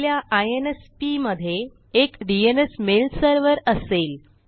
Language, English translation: Marathi, Your INSP will have a DNS mail server